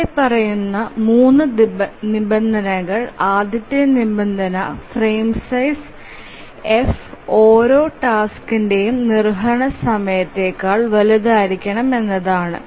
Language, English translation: Malayalam, The first condition is that the frame size F must be greater than the execution time of every task